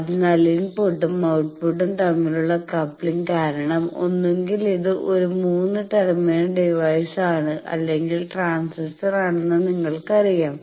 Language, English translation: Malayalam, So, because of the coupling between the input and output you know that either it is 3 terminal device any transistor